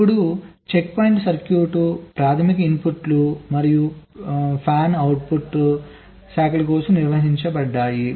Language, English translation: Telugu, now checkpoints is defined as for a circuit, the primary inputs and the fanout branches